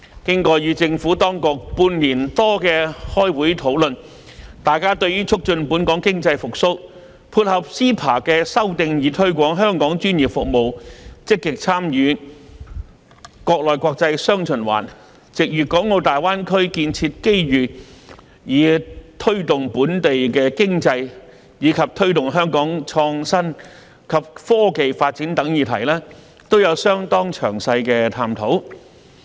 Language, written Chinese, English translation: Cantonese, 經過與政府當局半年多的開會討論，大家對於促進本地經濟復蘇，配合 CEPA 的修訂以推廣香港專業服務，積極參與"國內國際雙循環"，藉粵港澳大灣區建設機遇以推動本地經濟，以及推動香港創新及科技發展等議題，有相當詳細的探討。, After over six months of discussions the Subcommittee and the Administration have explored in considerable detail how to facilitate the revival of the local economy promote Hong Kongs professional services active participation in the domestic and international dual circulation through the amended Agreement on Trade in Services under CEPA ride on the development opportunities in the Guangdong - Hong Kong - Macao Greater Bay Area to promote the local economy promote the development of innovation and technology in Hong Kong and so on